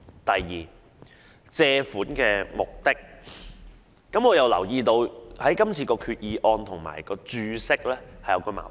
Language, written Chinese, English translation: Cantonese, 第二是借款目的，我留意到今次的決議案與註釋有矛盾。, The second point is the purpose of borrowings . I notice that this Resolution conflicts with the Explanatory Note